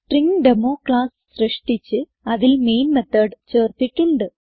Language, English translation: Malayalam, We have created a class StringDemo and added the main method